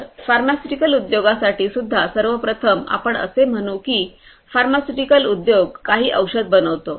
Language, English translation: Marathi, So, for the pharmaceutical industry also for you know first of all what happens is let us say that a pharmaceutical industry makes certain drugs right